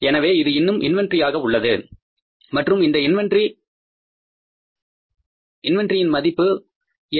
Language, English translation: Tamil, So that is still inventory and that inventory is how much